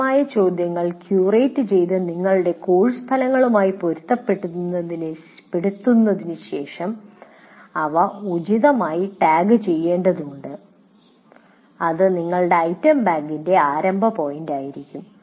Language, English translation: Malayalam, Then you have to, after curating these questions that are available and making them in alignment with your course outcomes, then you have to just tag them appropriately and that will be starting point for your item bank